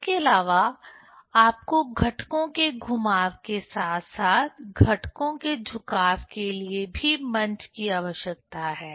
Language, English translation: Hindi, Also you need stage for rotation of the components as well as tilting of the components